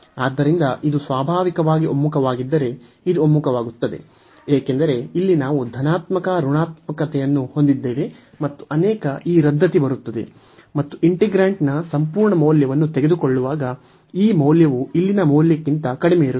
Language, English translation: Kannada, So, if this converges naturally this converges, because here we have positive negative and many this cancelation will come and this value will be less than the value here with while taking the absolute value of the integrant